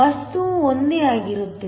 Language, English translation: Kannada, So, the material is the same